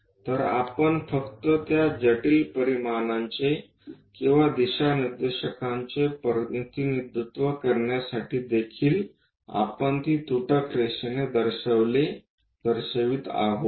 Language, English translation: Marathi, So, we just to represent that intricate dimensions or directions also we are showing it by a dashed line